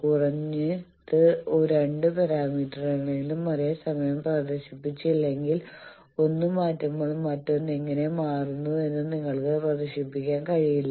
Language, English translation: Malayalam, You see unless and until you have simultaneous display of at least two parameters then when you are changing one how the other is changing you cannot display